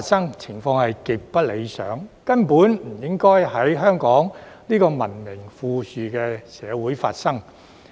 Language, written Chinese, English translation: Cantonese, 這種情況極不理想，根本不應該在香港這個文明富裕社會發生。, The situation is far from satisfactory falling short of that expected of a civilized and affluent society like Hong Kong